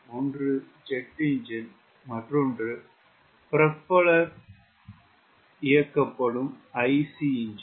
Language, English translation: Tamil, one is jet engine, another is propeller driven i c